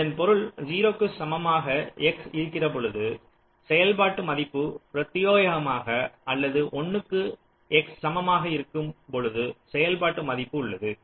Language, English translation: Tamil, this means the value of the function when x equal to zero, exclusive, or the value of the function when x equal to one